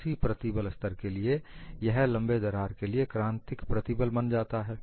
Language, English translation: Hindi, For the same stress level, it becomes a critical stress for a longer crack